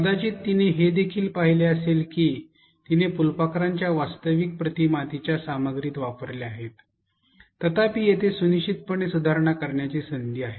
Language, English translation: Marathi, You might also have observed that she has used actual images of the butterfly in its different forms in her content; however, there is definitely scope for improvement